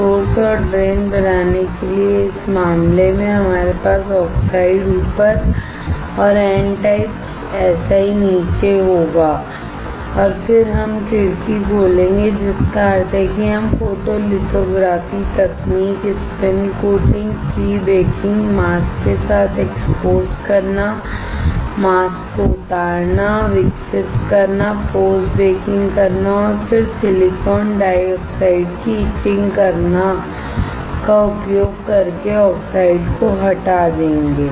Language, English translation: Hindi, In this case for creating source and drain, we will have the oxide top and bottom of the N type Si and then we will open the window, which means that we will remove the oxide using photolithography technique spin coating, pre baking, exposing with the mask, unloading the mask, developing, post baking and then etching the silicon dioxide